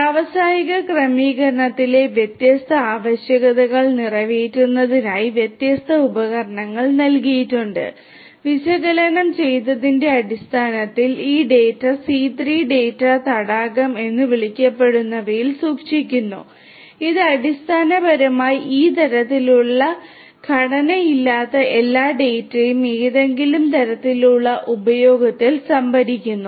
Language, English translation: Malayalam, Different tools have tools have been provided catering to the different requirements in the industrial setting and these data based on which the analytics have done are stored in something called the C3 Data Lake, which basically stores all this unstructured data that a typical of IIoT in using some kind of a format which is known as the RESTful architecture format